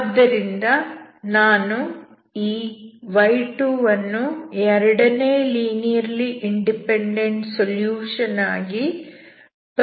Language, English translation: Kannada, So I cannot choose this y2 as second linearly independent solution